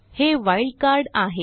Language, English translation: Marathi, And * is a wild card